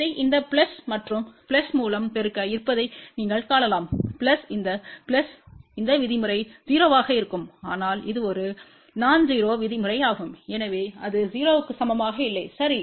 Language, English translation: Tamil, You can just see there multiply this with this plus this plus this plus this plus this this term will be 0, this term will be 0, but this is a nonzero term so hence that product is not equal to 0, ok